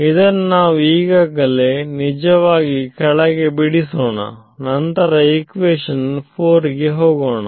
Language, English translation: Kannada, Let us draw it actually down here like this right now let us then go to equation 4 ok